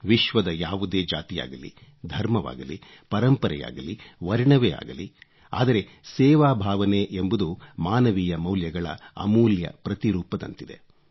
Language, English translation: Kannada, Be it any religion, caste or creed, tradition or colour in this world; the spirit of service is an invaluable hallmark of the highest human values